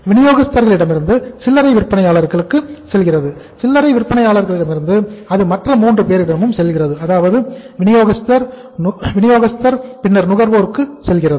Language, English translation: Tamil, From the distributor it goes to the retailer and from the retailer it goes to the or sometime there are the 3 people; distributor, wholesaler, retailer, and then consumer